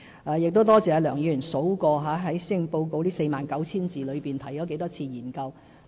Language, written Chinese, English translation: Cantonese, 我多謝梁議員數算出施政報告這 49,000 字裏面，提了多少次"研究"。, I thank Mr LEUNG for counting the number of times the word study appears in this Policy Address of 49 000 words